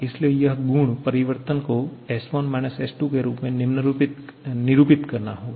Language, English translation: Hindi, So it has to denote change in property S1 S2